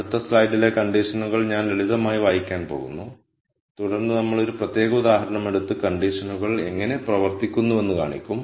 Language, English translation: Malayalam, What I am going to do is I am just going to simply read out the conditions in the next slide and then we will take a particular example and then demonstrate how the conditions work